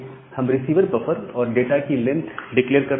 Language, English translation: Hindi, We are declaring the receive buffer and the length of the data